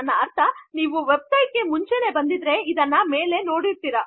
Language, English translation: Kannada, I mean you have probably been in a website before and you have seen this at the top